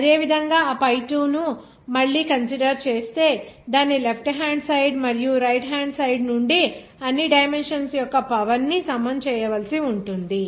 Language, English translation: Telugu, Similarly, consider that pi 2 again that you have to equalize the power of all dimensions from its left hand side and right hand side